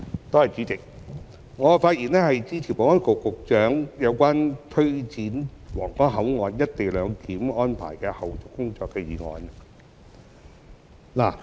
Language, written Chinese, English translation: Cantonese, 代理主席，我發言支持保安局局長提出有關推展皇崗口岸「一地兩檢」安排的後續工作的議案。, Deputy President I rise to speak in support of the motion on taking forward the follow - up tasks of implementing co - location arrangement at the Huanggang Port moved by the Secretary for Security